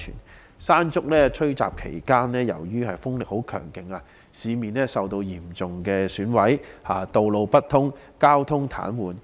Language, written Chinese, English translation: Cantonese, 在"山竹"吹襲期間，由於風力十分強勁，市面受到嚴重損毀，道路不通，交通癱瘓。, During the onslaught of Mangkhut the extremely high wind speed caused serious destructions across the city blocking roads and paralysing traffic